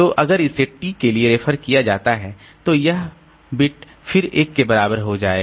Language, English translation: Hindi, So if you find that the reference bit is equal to 1